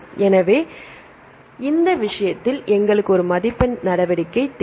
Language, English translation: Tamil, So, in this case, we need a scoring measure